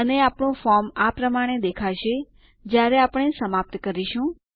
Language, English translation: Gujarati, And this is how our form will look like, when we are done